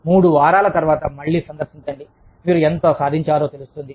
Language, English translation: Telugu, After three weeks, just revisit, how much, you have accomplished